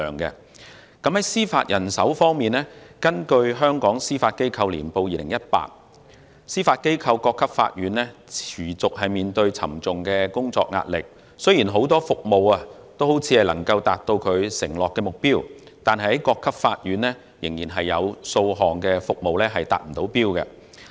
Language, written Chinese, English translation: Cantonese, 在司法人手方面，根據《香港司法機構年報2018》，司法機構各級法院持續面對沉重工作壓力，雖然很多服務看似能夠達到所承諾的目標，但各級法院仍有若干服務未能達標。, Concerning judicial manpower according to the Hong Kong Judiciary Annual Report 2018 the Judiciary continued to face heavy work pressures at all levels of court . While many performance targets were achieved a number of targets at various levels of courts were not met